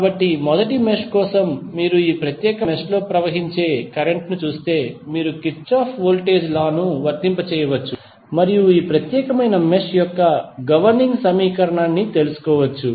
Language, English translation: Telugu, So, for first mesh if you see the current which is flowing in this particular mesh you can apply Kirchhoff Voltage Law and find out the governing equation of this particular mesh